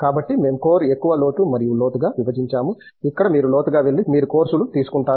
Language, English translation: Telugu, So, we have divided into core, breadth and depth and depth is where you dig deeper and you take courses